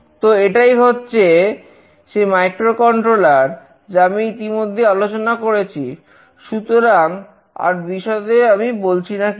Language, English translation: Bengali, So, this is the microcontroller I have already discussed, so I am not discussing in detail about this